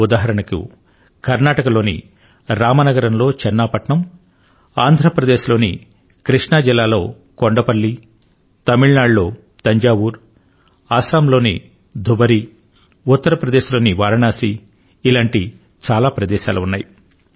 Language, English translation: Telugu, Like, Channapatna in Ramnagaram in Karnataka, Kondaplli in Krishna in Andhra Pradesh, Thanjavur in Tamilnadu, Dhubari in Assam, Varanasi in Uttar Pradesh there are many such places, we can count many names